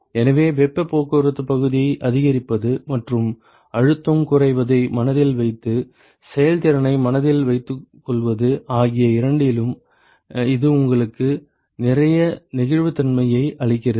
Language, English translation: Tamil, So, it gives you a lot of flexibility in terms of both increasing the heat transport area and with keeping the pressure drop in mind and keeping the efficiency in mind